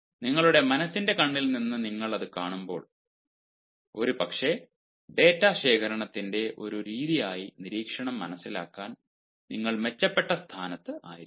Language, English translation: Malayalam, when you see it from your mind s eye, perhaps you will be in a better position to understand observation as a method of data collection